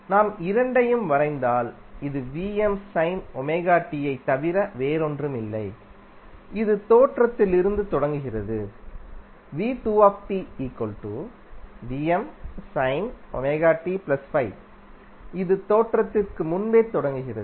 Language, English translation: Tamil, If we plot both of them, so this will become V 1 T is nothing but VM sine Om T which starts from origin, while V2T is VM Sine omega T plus 5 which starts before origin